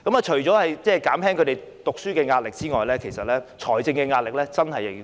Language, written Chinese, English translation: Cantonese, 除了減輕他們的讀書壓力之外，財政上的壓力也要兼顧。, In addition to alleviating their study pressure we should also address their financial pressure